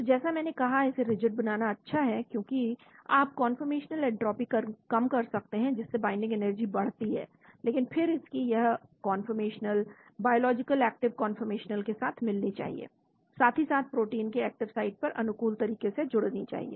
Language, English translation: Hindi, So like I said it is good to make it rigid because you can reduce the conformational entropy increases the binding energy, but then it conformation should match with the biological active conformation as well as optimally binding to the active site of the protein